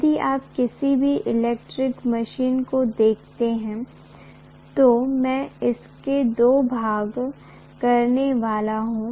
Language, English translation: Hindi, If you look at any electrical machine, I am going to have two portions